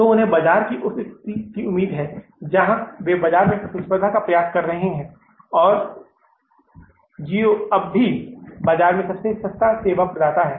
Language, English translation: Hindi, So in anticipation to that, they stayed in the market, they are striving the competition in the market and geo is still the cheapest, means service provider in the market